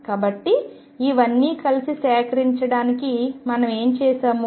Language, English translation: Telugu, So, to collect all this together what have we done